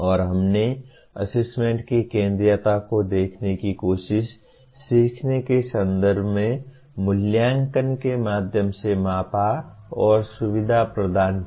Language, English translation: Hindi, And we also tried to look at the centrality of assessment in terms of learning is measured and facilitated through assessment